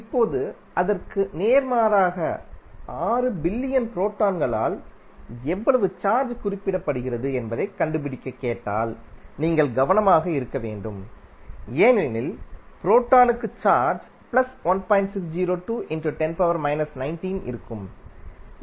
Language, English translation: Tamil, Now, opposite to that if you are asked to find out how much charge is being represented by 6 million protons then you have to be careful that the proton will have charge positive of 1